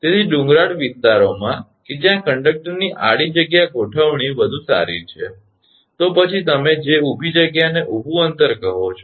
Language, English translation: Gujarati, So, in hilly areas that your horizontal space configuration of conductor is preferable, then you are what you call that vertical space vertical spacing